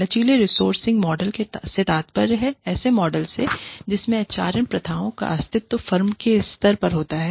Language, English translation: Hindi, Flexible resourcing model refers to, a model in which, the HRM practices exist, at the level of the firm